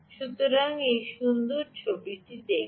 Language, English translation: Bengali, so look at this beautiful picture right